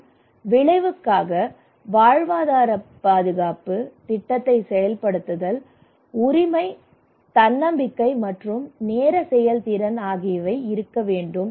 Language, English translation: Tamil, And outcome; There should be livelihood security, plan implementation, ownership, self reliance, time effective